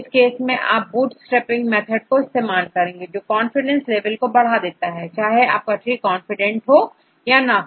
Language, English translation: Hindi, For in this case they use a method called bootstrapping, to increase the confidence level, whether your tree is confident or not